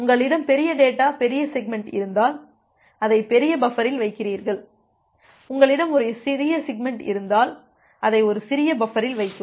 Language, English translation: Tamil, If you have a large data large segment, you put it in the large buffer; if you have a small segment, you put it in a small buffer